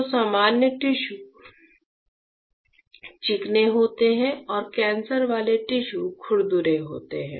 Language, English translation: Hindi, So, normal tissues are smooth and cancerous tissues are rough